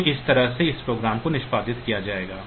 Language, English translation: Hindi, So, this way this program will be executed and do the addition